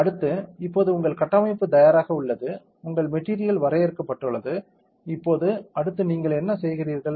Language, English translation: Tamil, Next is now that your structure is ready, your material is defined, now next what do you do